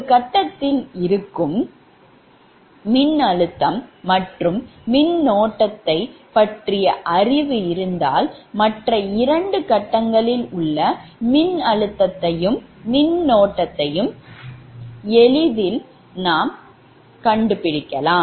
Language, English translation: Tamil, the knowledge of voltage and current in one phase is sufficient to determine the voltage and current in other two phases